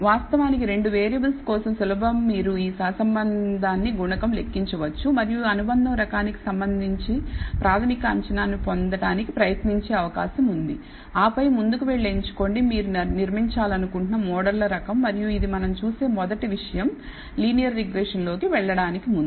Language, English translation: Telugu, Of course, for 2 variables it is easy you can plot it you can compute these correlation coefficient and try to get a preliminary assessment regarding the type of association that is likely to be and then try go ahead and choose the type of models you want to build and this is the first thing that we look before we jump into linear regression